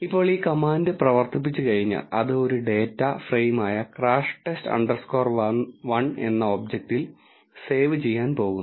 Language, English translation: Malayalam, Now once this command is run, its going to save it in an object called crash test underscore 1 which is a data frame